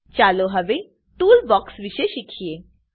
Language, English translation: Gujarati, Next lets learn about Toolbox